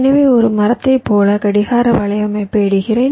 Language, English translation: Tamil, so i am laying out the clock network like a tree